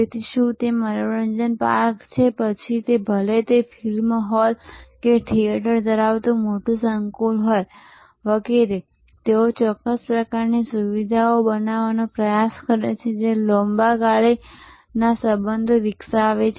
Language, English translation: Gujarati, So, whether it is an amusement park, whether it is a large complex having movie halls and theatres, etc they are try to create certain kinds of features which create a long term relationship